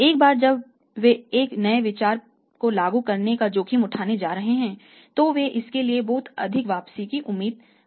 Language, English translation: Hindi, Once they are going to take the risk of implementing a new idea they are expecting a very high return for that